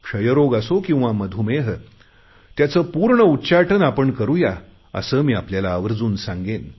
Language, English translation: Marathi, I would like to appeal to you all, whether it is TB or Diabetes, we have to conquer these